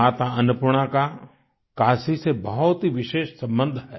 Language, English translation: Hindi, Mata Annapoorna has a very special relationship with Kashi